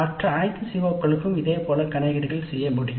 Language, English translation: Tamil, We can do similar computations for all the other COs also